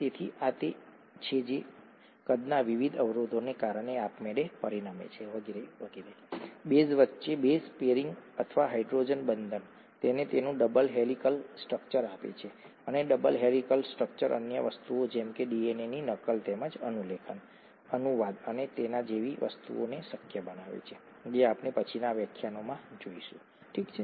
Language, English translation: Gujarati, So this is what automatically results because of the various constraints in size and so on and so forth, the base pairing or hydrogen bonding between the bases, gives it its double helical structure and the double helical structure makes other things such as replication of DNA as well as transcription, translation and things like that possible, that we will see in later lectures, okay